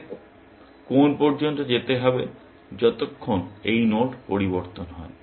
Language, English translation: Bengali, It should go till, as long as this node changes